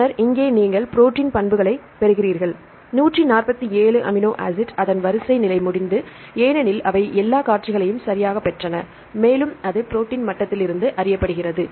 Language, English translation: Tamil, Then here you get the protein attributes is 147 amino acid its sequence status is complete because they got all the sequences right and its known at the protein level